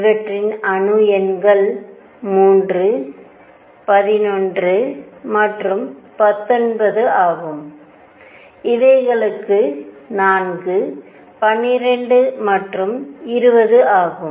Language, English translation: Tamil, The atomic numbers for these were 3, 11 and 19, for these were 4, 12 and 20